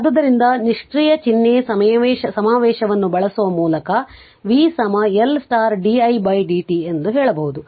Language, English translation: Kannada, So, by using the passive sign convention right v is equal to L into di by dt